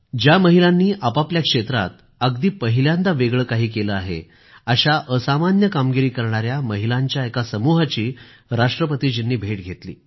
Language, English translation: Marathi, He met a group of extraordinary women who have achieved something significanty new in their respective fields